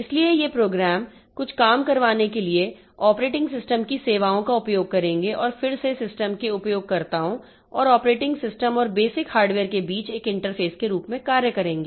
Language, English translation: Hindi, So, these programs they will be using services from the operating system to get some jobs done and again acting as an interface between the users of the system and the operating system and the basic hardware